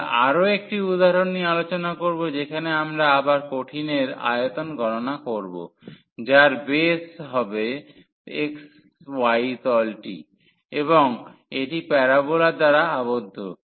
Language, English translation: Bengali, So, we move further to discuss another example where again we will compute the volume of the solid whose base is in the xy plane, and it is bounded by the parabola